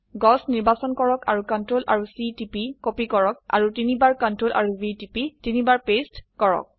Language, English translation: Assamese, Select the tree and ctrl and C to copy Ctrl and V three times to paste